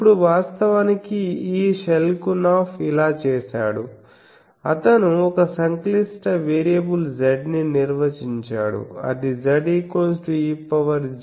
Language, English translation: Telugu, Now, let us define actually this Schelkunoff did this he defined a complex variable Z that is e to the power j u plus u 0